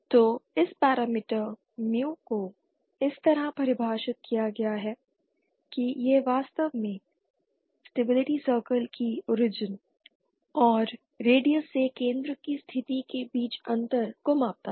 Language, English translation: Hindi, So this parameter mu is defined like this actually measures the difference between the position of center from the origin and radius of the stability circle